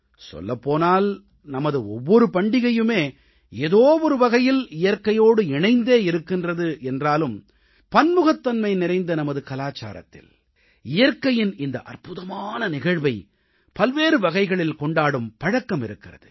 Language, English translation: Tamil, Though all of our festivals are associated with nature in one way or the other, but in our country blessed with the bounty of cultural diversity, there are different ways to celebrate this wonderful episode of nature in different forms